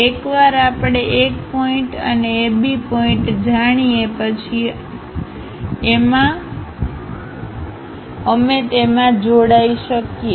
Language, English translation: Gujarati, Once we know 1 point and AB points are known we can join them